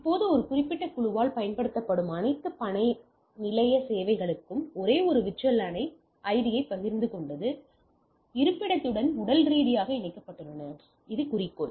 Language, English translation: Tamil, So, now so all work station server used by a particular group share the same VLAN ID and physically connected to the location, so this is my objective